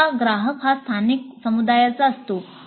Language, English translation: Marathi, Usually the client is someone from a local community